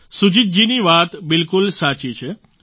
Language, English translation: Gujarati, Sujit ji's thought is absolutely correct